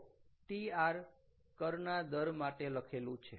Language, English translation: Gujarati, so tr stands for tax rate